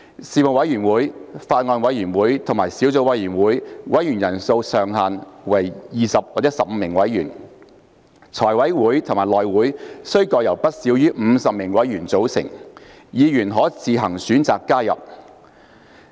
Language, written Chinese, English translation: Cantonese, 事務委員會、法案委員會及小組委員會的委員人數上限為20或15名委員；財務委員會及內會須各由不少於50名委員組成，議員可自行選擇加入。, The maximum number of members for Panels bills committees and subcommittees are set at 20 or 15 while the Finance Committee and HC which Members can join on their own will should have not less than 50 members